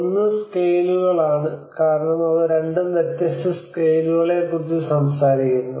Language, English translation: Malayalam, One is the scales, because they two talk about different scales